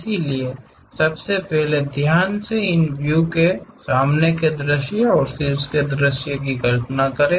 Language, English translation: Hindi, So, first of all carefully visualize these views, the front view and the top view